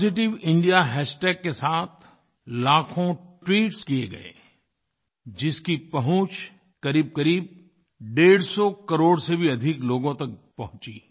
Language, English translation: Hindi, Lakhs of tweets were posted on Positive India hashtag , which reached out to more than nearly 150 crore people